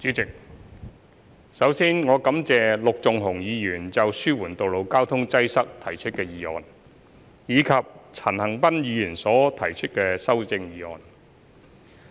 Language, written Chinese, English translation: Cantonese, 主席，首先，我感謝陸頌雄議員就"紓緩道路交通擠塞"提出的議案，以及陳恒鑌議員所提出的修正案。, President first of all I have to thank Mr LUK Chung - hung for proposing the motion on Alleviating road traffic congestion and Mr CHAN Han - pan for proposing the amendment